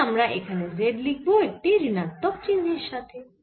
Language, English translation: Bengali, so we can put z here, but on minus sin